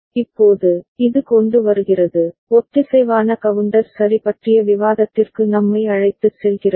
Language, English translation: Tamil, Now, this brings up, brings us to the discussion on synchronous counter ok